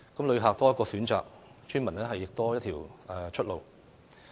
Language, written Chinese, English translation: Cantonese, 旅客多一個選擇，村民亦多一條出路。, In that case visitors can have one more choice and the villagers can have one more way out